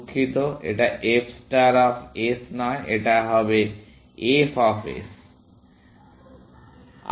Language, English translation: Bengali, Sorry, not f star of s; f of s